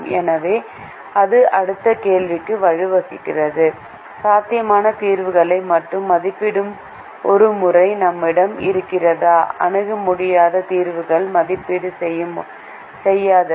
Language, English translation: Tamil, so that leads to the next question: do we have a method that evaluates only feasible solutions, does not evaluate infeasible solutions